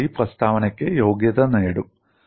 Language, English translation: Malayalam, We would go and qualify the statement